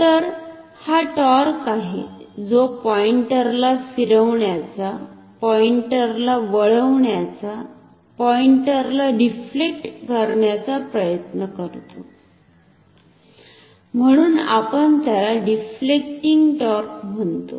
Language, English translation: Marathi, So, this is the torque that tries to rotate the pointer, turn the pointer, deflect the pointer that is why we call it the deflective torque